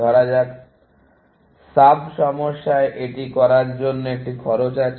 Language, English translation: Bengali, Let say, we assumed, there is a cost of doing that into sub problems